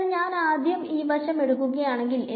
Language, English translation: Malayalam, So, if I take the let us take this side first over here